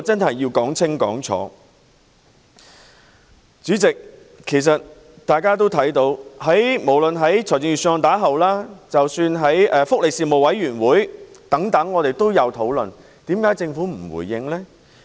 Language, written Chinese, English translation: Cantonese, 代理主席，大家也看到，其實在預算案發表後，在立法會福利事務委員會等亦有進行討論，為甚麼政府不回應呢？, Deputy President we are aware that in fact after the presentation of the Budget there was also discussion in the Panel on Welfare Services of the Legislative Council etc . Why has the Government given no response?